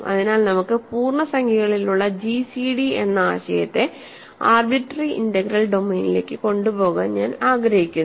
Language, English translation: Malayalam, So, I want to carry over the notion that we have in integers namely gcd to an arbitrary integral domain